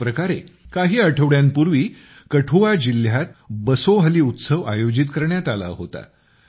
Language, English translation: Marathi, Similarly, 'BasohliUtsav' was organized in Kathua district a few weeks ago